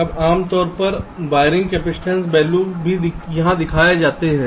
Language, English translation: Hindi, now typically wiring capacitance values are also shown here